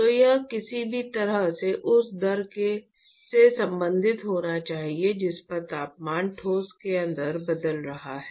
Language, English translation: Hindi, So, that has to be somehow related to the rate at which the temperature is changing inside the solid, right